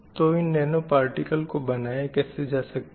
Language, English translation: Hindi, So, what are the different types of nanoparticles